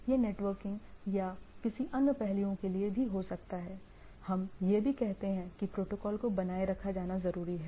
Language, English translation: Hindi, It maybe for networking or any other aspects also we say that the protocol to be maintained etcetera